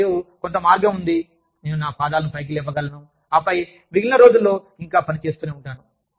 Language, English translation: Telugu, And, there is some way, that i can raise my feet up, and then, still continue to work, for the rest of the day